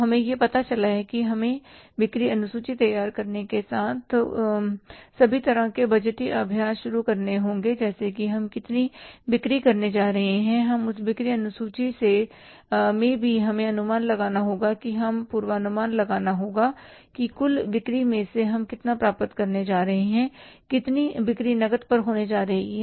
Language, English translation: Hindi, So, we learned about that we have to begin all kind of the budgetary exercise with the preparing of the sales schedule that how much we are going to sell and in that sales schedule also we have to anticipate, we have to forecast that out of the total sales we are going to achieve how much sales are going to be on cash and how much sales are going to be on credit